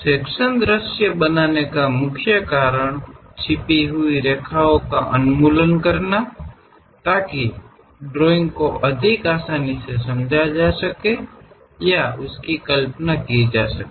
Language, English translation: Hindi, The main reason for creating a sectional view is elimination of the hidden lines, so that a drawing can be more easily understood or visualized